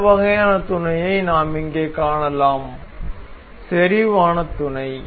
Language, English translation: Tamil, The next kind of mate we can see here is concentric mate